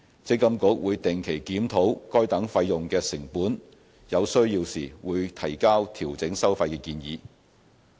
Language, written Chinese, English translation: Cantonese, 積金局會定期檢討該等費用的成本，有需要時會提交調整收費的建議。, MPFA will regularly review the costs of these fees and submit fee revision proposals as and when necessary